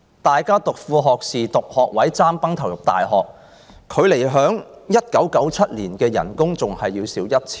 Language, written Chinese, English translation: Cantonese, 大家報讀副學士學位、"爭崩頭"入大學，畢業後的薪金較1997年還要少 1,000 元。, Every year students scramble for associate degree places or places in universities but the salary they get after graduation is even lower than that in 1997 by 1,000